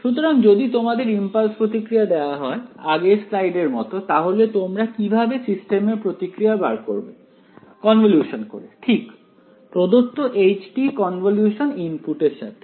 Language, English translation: Bengali, So, if I if you are given the impulse response like in the previous slide how do you find the response of the system convolution right given h t convolved with the input get the ok